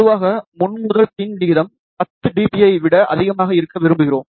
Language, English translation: Tamil, Generally, we would prefer front to back ratio to be greater than 10 dB